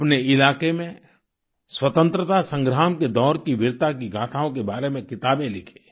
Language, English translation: Hindi, Write books about the saga of valour during the period of freedom struggle in your area